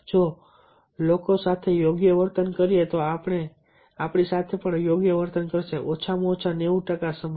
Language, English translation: Gujarati, if we treat people right, they will treat us right at least ninety percent of the time